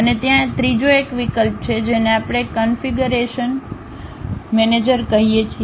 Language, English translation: Gujarati, And there is a third one option, that is what we call configuration manager